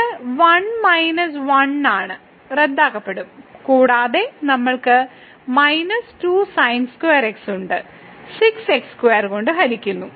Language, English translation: Malayalam, So, this is 1 minus 1 we will get cancel and we have minus square and divided by square